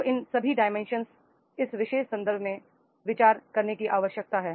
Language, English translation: Hindi, So all these dimensions that is required to be consideration in this particular context